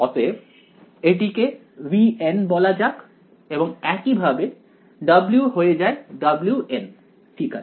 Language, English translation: Bengali, So, it becomes V N let us call it and similarly W becomes W N ok